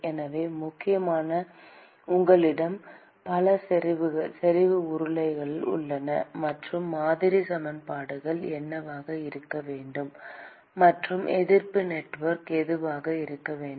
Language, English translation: Tamil, So, essentially you have many concentric cylinders; and what should be the model equation and what should be the resistance network